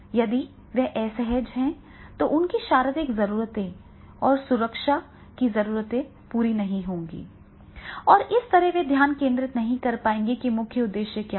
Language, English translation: Hindi, If they are uncomfortable, then their physiological needs and safety needs are not fulfilled, then how they will be able to concentrate in the training program and that is the purpose